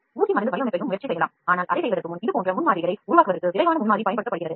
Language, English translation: Tamil, Injection moulding also can be tried, but before doing it rapid prototyping is used for making such complex shapes